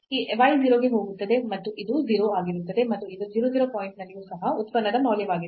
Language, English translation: Kannada, So, this y goes to 0 and this will be 0 and this is the function value also at 0 0 point